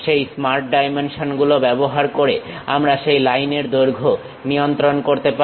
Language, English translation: Bengali, Using the Smart Dimensions we can adjust the length of that line